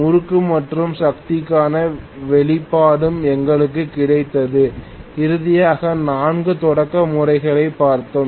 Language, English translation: Tamil, We also got the expression for the torque and power and finally we looked at 4 of the starting methods